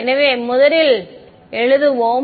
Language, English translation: Tamil, So, let us write down del first